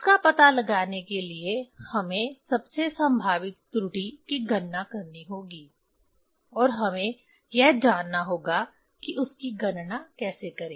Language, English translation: Hindi, To find out that one, we have to calculate most probable error and we have to know how to calculate that one